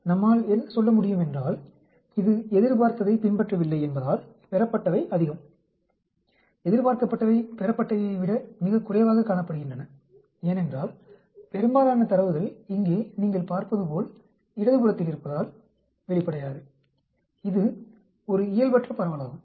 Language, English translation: Tamil, So, we can say because it does not follow what is expected, the observed is much, the expected is much below the observed because, most of the data is on the left hand side here as you can see, obviously, this is a Non normal distribution